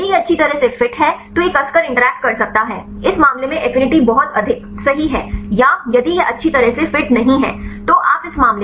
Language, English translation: Hindi, If it is fit well then it can tightly interact right this case the affinity is very high right or if does not fit well then this case the affinity is less